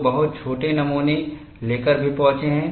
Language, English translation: Hindi, People have also arrived at very small specimens